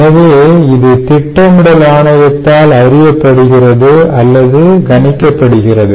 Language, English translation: Tamil, so this sometimes is known or predicted by planning commission